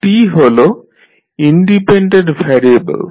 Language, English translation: Bengali, t is the independent variable